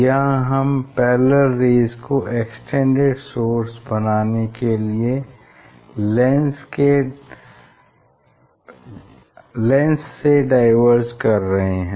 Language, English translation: Hindi, Here parallel rays, from parallel rays to we are making we are diverging the light to make the extended source